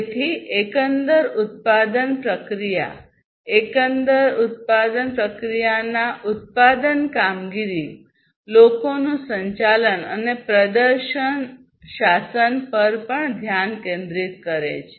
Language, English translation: Gujarati, So, overall production process basically, production operations of the overall production process, people management and performance governance